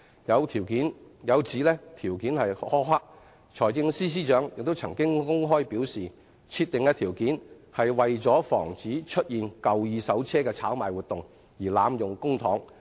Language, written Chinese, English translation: Cantonese, 對於有指相關條件苛刻，財政司司長曾公開表示，設定的條件為防止出現二手車的炒賣活動而濫用公帑。, In response to criticisms that the conditions are too harsh the Financial Secretary has publicly explained that the conditions are meant to prevent second - hand car speculation and misuse of public money